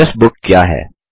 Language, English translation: Hindi, What is an Address Book